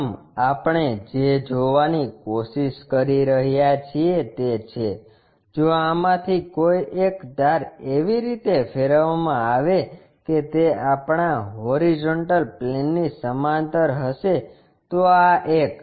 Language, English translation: Gujarati, The first one what we are trying to look at is in case one of these edges are rotated in such a way that that will be parallel to our horizontal plane so this one